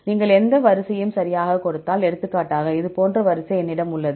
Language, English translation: Tamil, If you give any sequence right, for example, I have a sequence like this